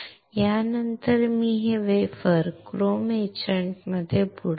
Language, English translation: Marathi, Then I will dip this wafer in the chrome etchant